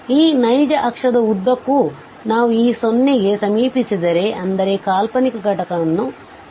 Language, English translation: Kannada, So, along this real axis if we approach to this 0 that means, the imaginary component is fixed